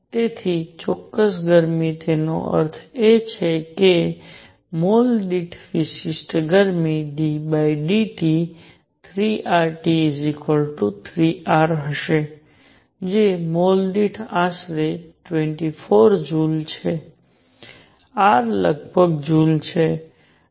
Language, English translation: Gujarati, And therefore, specific heat; that means, specific heat per mole is going to be 3 R T d by d T equals 3 R which is roughly 24 joules per mole, R is roughly a joules